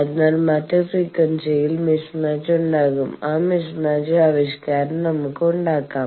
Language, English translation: Malayalam, So, at other frequency there will be mismatch lets us expression for that mismatch